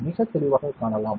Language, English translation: Tamil, You can see it very clearly